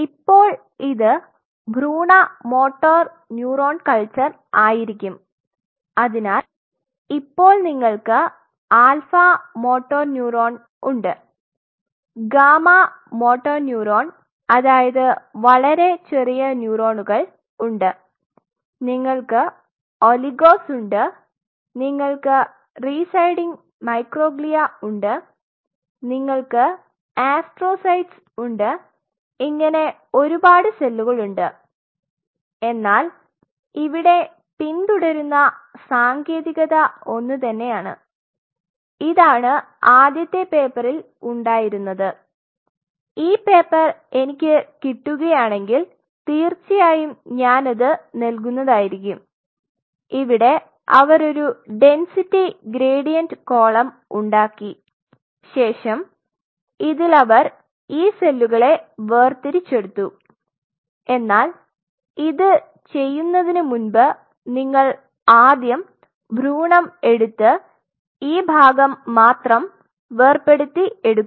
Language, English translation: Malayalam, Now, this become embryonic motor neuron culture and what you have alpha motor neuron mn gamma motor neuron possibly very small neurons then you have oligos you have microglia residing microglia, you have astrocytes and series of them and the technique which is followed, which was followed was the same and this was the very first paper if I could dug out the paper I will definitely circulated they form a density gradient column and on a density gradient column they separate out these cells this was the very, but before you do so, you have to first take the embryo and you have to dissect out only the this part